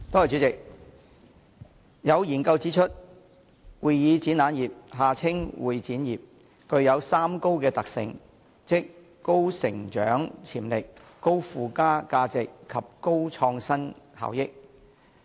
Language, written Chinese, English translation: Cantonese, 主席，有研究指出，會議展覽業具有三高的特性，即高成長潛力、高附加價值及高創新效益。, President a study has pointed out that the convention and exhibition CE industry is characterized by three highs namely high growth potential high added - values and highly beneficial innovations